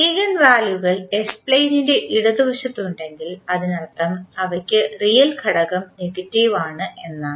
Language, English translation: Malayalam, If the eigenvalues are on the left inside of the s plane that means if they have the real component negative